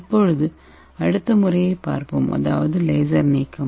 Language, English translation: Tamil, So let us see the next method that is, laser ablation